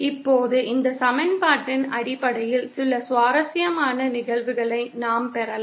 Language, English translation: Tamil, Now based on this equation, we can derive some interesting cases